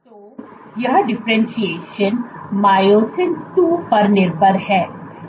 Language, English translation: Hindi, So, this differentiation is myosin II dependent